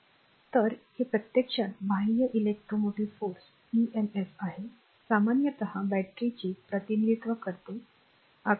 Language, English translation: Marathi, So, this is actually external electromotive force emf, typically represent by the battery figure 1